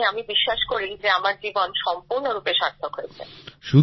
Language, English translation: Bengali, Meaning, I believe that my life has become completely meaningful